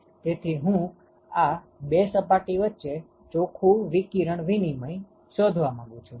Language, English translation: Gujarati, So, now we can find the net radiation exchange between the first and the second surface